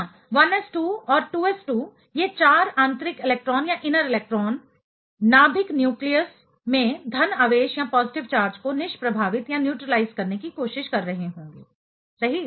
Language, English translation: Hindi, Yeah, 1s2 and 2s2; these 4 inner electrons will be trying to neutralize the positive charge at the nucleus right